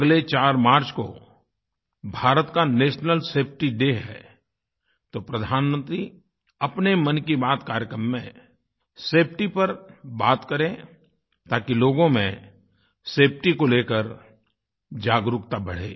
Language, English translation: Hindi, Since the 4th of March is National Safety Day, the Prime Minister should include safety in the Mann Ki Baat programme in order to raise awareness on safety